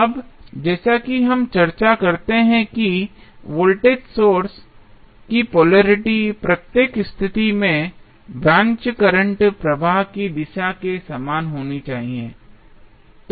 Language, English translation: Hindi, Now, as we discuss that polarity of voltage source should be identical with the direction of branch current in each position